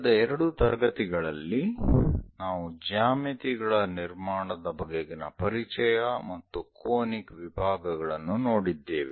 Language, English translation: Kannada, In the last two classes, we have covered introduction, geometric constructions and conic sections